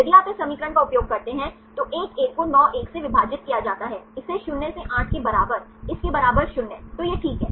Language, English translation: Hindi, If you use this equation, 1 1 divided by 9 1, this equal to 0 by 8, this equal to 0